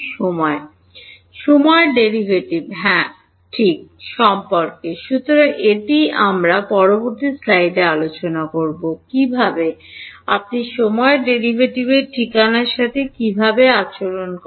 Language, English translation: Bengali, What about the time derivative yeah; so, that is what we will talk about in the next slide how do you deal with the time derivative alright